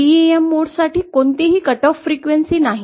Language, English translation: Marathi, For TEM mode no cut off frequency is there